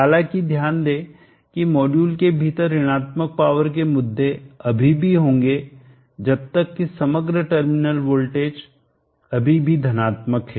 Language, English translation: Hindi, However not that there will still be issues of negative power, within the module as long as the overall terminal voltage is still positive